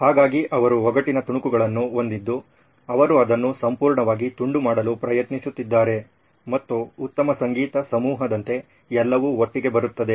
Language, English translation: Kannada, So they have pieces of the puzzle, they are trying to piece it altogether and like a good music ensemble it all comes together